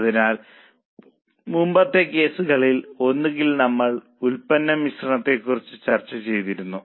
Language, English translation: Malayalam, So, in one of the earlier cases we are discussed about product mix